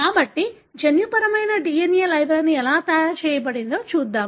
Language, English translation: Telugu, So, let us have a look at how genomic DNA library is made